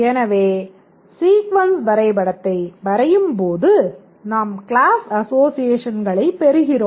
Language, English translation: Tamil, So, as we draw the sequence diagram we get the class associations